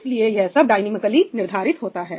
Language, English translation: Hindi, So, all of this is being determined dynamically